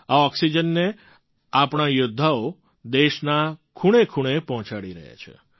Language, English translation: Gujarati, Our warriors are transporting this oxygen to farflung corners of the country